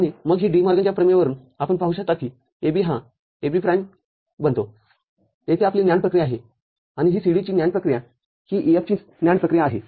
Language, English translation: Marathi, And then from De Morgan’s theorem you can see that this AB becomes AB prime that is your NAND operation over here; and this is NAND operation of a CD; NAND operation of E F